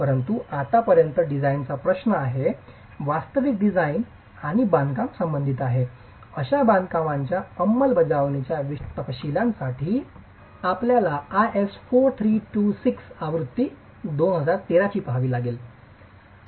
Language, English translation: Marathi, As far as the design is concerned, actual design and construction is concerned, you will have to look at IS 4326 version 2013 for the specific details in executing such constructions